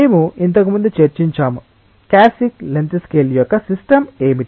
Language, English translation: Telugu, We have earlier discussed that: what is the characteristic length scale of the system